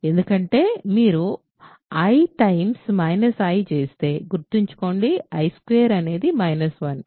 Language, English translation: Telugu, Because, if you do i times minus i, remember i squared is minus 1 right